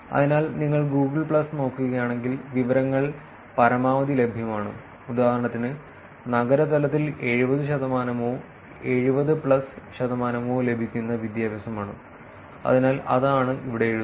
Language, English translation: Malayalam, So, if you look at Google plus, the information is maximum available for example, it is education that is available at a city level about 70 percent or 70 plus percentage, so that is what is its written here